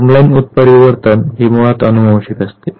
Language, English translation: Marathi, Germ line mutation basically is hereditary mutation